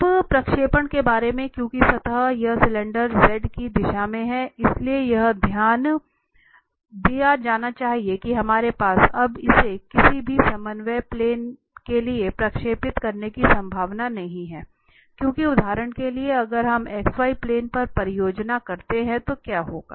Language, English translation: Hindi, Now about the projection because the surface this cylinder is in the direction of z, so it should be noted that that we do not have possibility now projecting this to any of the coordinate planes, because if we project for instance on x y plane, what will happen